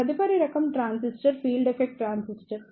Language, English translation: Telugu, Next type of transistor is Field Effect Transistor